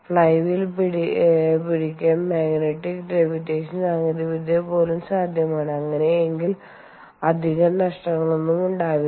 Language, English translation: Malayalam, ah, it is possible to have even magnetic levitation technology to hold the flywheel in place and in that case there is hardly any bearing losses